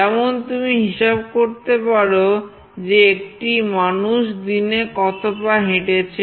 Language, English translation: Bengali, Like you can track the number of steps a person is walking in a day